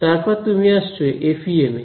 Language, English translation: Bengali, Then you come to FEM